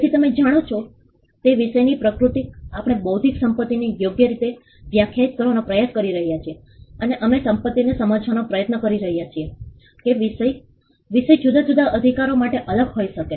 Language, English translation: Gujarati, So, the nature of the subject matter you know we are trying to define intellectual property right and we are trying to understand that the subject matter can be different for different rights